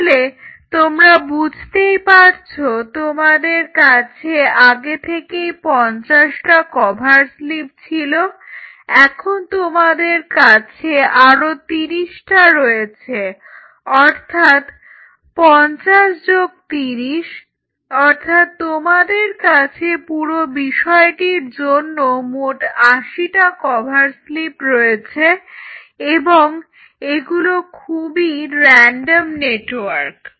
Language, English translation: Bengali, So, you realize we are now talking about you already have 50, now we are talking about 50 plus 30, cover slips you have 8 cover slips to look into this whole thing and it is a very random network